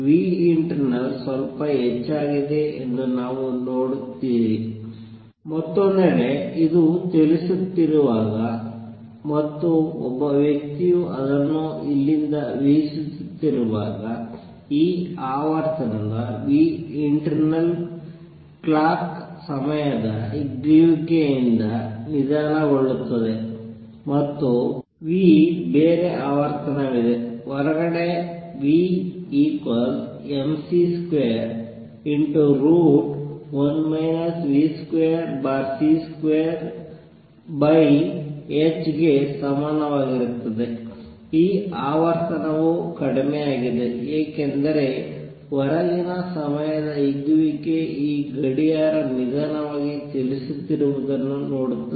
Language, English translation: Kannada, You see nu internal has gone up a bit, on the other hand when this is moving and a person is watching it from here the internal clock that had this frequency nu internal slows down due to time dilation, and there is a different frequency nu which is observed from outside which is going to be equal to nu equals mc square root of 1 minus v square over c square over h, this frequency has gone down because the time dilation outside person sees this clock running slow